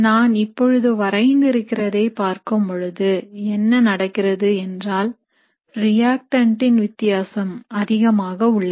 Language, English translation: Tamil, So if I look at the scenario which I have drawn, in this case what is happening is the difference here in the case of the reactant is large